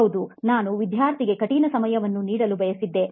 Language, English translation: Kannada, Yes, I wanted to give the student a hard time